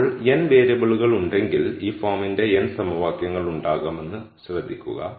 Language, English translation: Malayalam, Now, notice that if there are n variables there will be n equations of this form